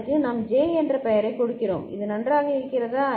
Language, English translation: Tamil, And we are giving the name J is it fine